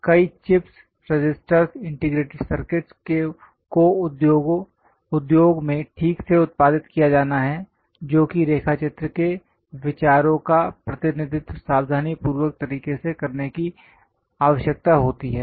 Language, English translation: Hindi, Many chips, resistors, integrated circuits have to be properly produced at industries that requires careful way of drawing sketches, representing ideas